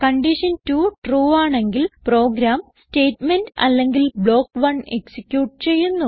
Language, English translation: Malayalam, If condition 2 is true, then the program executes Statement or block 1